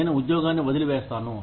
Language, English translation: Telugu, I leave the job